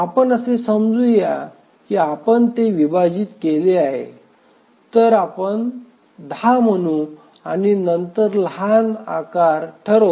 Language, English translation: Marathi, So let's assume that we split it into, let's say, 10 and 10